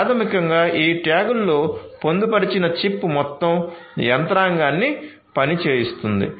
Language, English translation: Telugu, So, basically it’s the chip that is embedded in these tags that makes the entire you know entire mechanism function